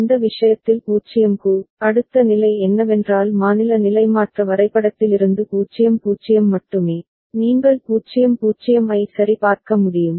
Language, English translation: Tamil, And in that case for 0, next state is what 0 0 only from the state transition diagram, you can see 0 0 right ok